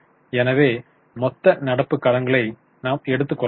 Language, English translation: Tamil, So, we will take total current liabilities